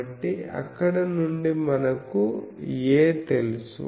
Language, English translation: Telugu, So, from there we have so that means A we know